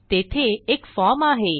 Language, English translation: Marathi, There is the form